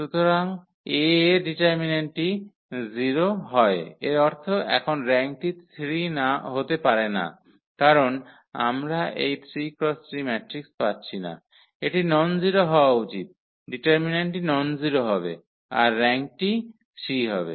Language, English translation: Bengali, So, the determinant of A is 0; that means, now the rank cannot be 3 because we are not getting this 3 by 3 matrix, it should be nonzero the determinant should be nonzero then the rank will be 3 So, now the rank will be less than 3